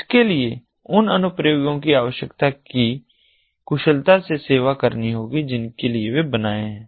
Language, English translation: Hindi, it has to serve efficiently the requirements of the applications for which they are deployed